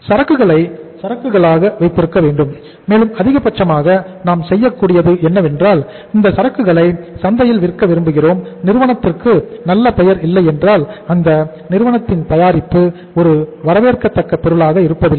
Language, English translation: Tamil, Inventory has to be kept as inventory and maximum we can do is that if we are able we want to sell this inventory in the market and if the firm does not enjoy the good reputation in the market or the firm’s product is not a welcome product in the market